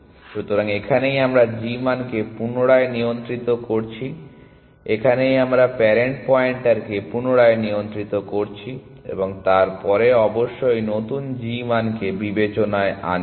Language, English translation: Bengali, So, this is where we are readjusting the g value, this is where we are readjusting the parent pointer and then this of course, taking into account the new g value